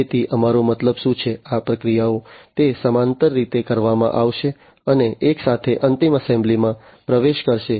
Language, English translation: Gujarati, So, what we mean is these processes you know, they are going to be performed in parallel and together will get into the final assembly